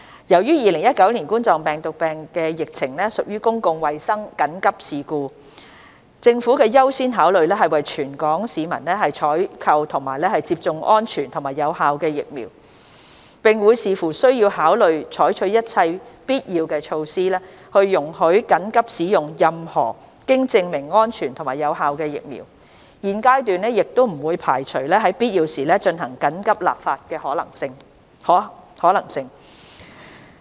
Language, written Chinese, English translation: Cantonese, 由於2019冠狀病毒病疫情屬公共衞生緊急事故，政府的優先考慮是為全港市民採購及接種安全及有效的疫苗，並會視乎需要考慮採取一切必要措施，容許緊急使用任何經證明安全及有效的疫苗，現階段不會排除在必要時進行緊急立法的可能性。, In view that the COVID - 19 epidemic is a public health emergency the Governments priority is to procure and administer vaccines which are safe and effective for our population . Depending on need we will consider implementing all necessary measures to enable the emergency use of vaccines which have been proven to be safe and effective . At this juncture we do not rule out the possibility of emergency legislation in times of need